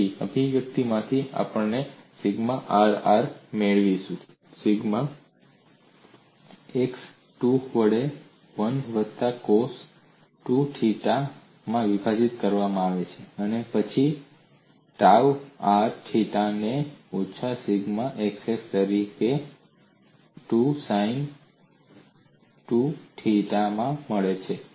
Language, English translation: Gujarati, So from the expression, we would be getting sigma RR, as sigma xx divided by 2 into 1 plus cos 2 theta, and then tau r theta as minus sigma xx by 2 sin 2 theta